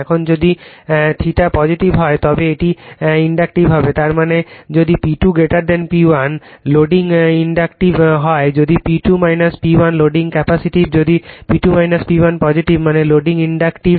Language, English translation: Bengali, Now, if theta is positive then it is inductive; that means, if P 2 greater than P 1 loading inductive if P 2 less than P 1 loading capacity right if P 2 minus P 1 positive means loading inductive